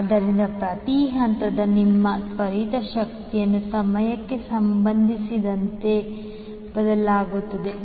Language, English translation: Kannada, So even your instantaneous power of each phase will change with respect to time